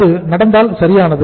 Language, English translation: Tamil, If that happens perfect